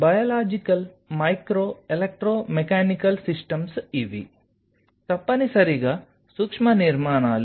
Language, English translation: Telugu, Biological micro electromechanical systems these are essentially microstructures